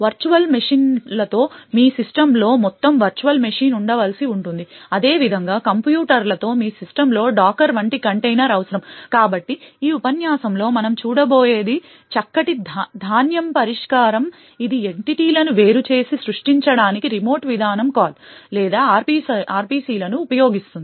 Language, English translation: Telugu, With virtual machines you still would require an entire virtual machine to be present in your system while similarly with containers you would require a container such as docker to be present in your system, so what we would be seeing in this lecture is a fined grain solution which uses remote procedure calls or RPCs to create isolate entities